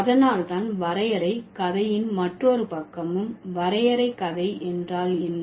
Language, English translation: Tamil, So, that's the reason why another side of the definition story is, and what definition story